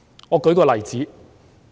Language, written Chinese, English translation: Cantonese, 我舉一個例子。, Let me give an example